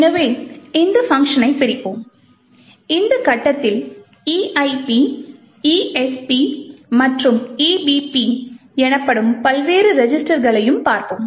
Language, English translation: Tamil, So, let us disassemble the function and at this point we would also, look at the various registers that is the EIP, ESP and the EBP